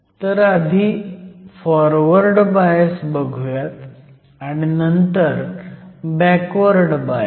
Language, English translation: Marathi, So, let us look at Forward bias first and then we will consider Reverse bias